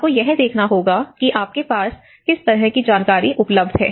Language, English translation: Hindi, In fact, one has to look at what kind of information do you have